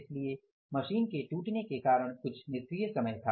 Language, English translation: Hindi, So because of the machine breakdown there was some idle time